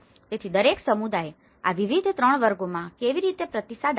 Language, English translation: Gujarati, So, how each community response to these different 3 categories